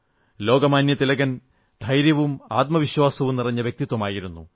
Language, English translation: Malayalam, Lokmanya Tilak was full of courage and selfconfidence